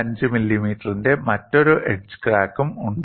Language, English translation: Malayalam, 5 millimeter here, another edge crack of 8